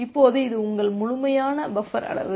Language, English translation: Tamil, Now this is your complete buffer size